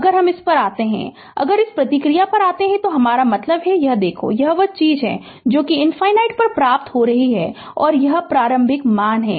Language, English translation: Hindi, If you if you come to this one, if you come to this response this this one, I mean this one look ah this one, it is this is the thing you are obtaining at infinity and this is your initial value